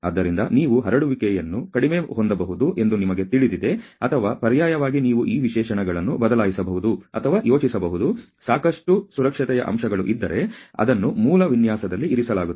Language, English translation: Kannada, So, that you know you can have the spread lesser or alternatively you can change or think of changing this specifications, if need if there is a lot of factor of safety, which is been put in the original design